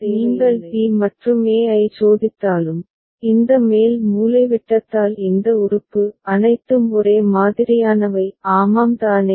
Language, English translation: Tamil, If it is equivalent, then whether you test b and a, by this upper diagonal this element all the same; is not it